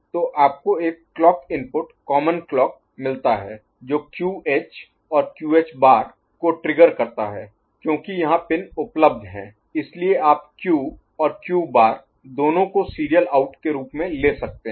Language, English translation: Hindi, So, you have got a clock input common clock which get is triggering QH and QH bar because there are pins available so you take both the Q and Q bar as the serial out right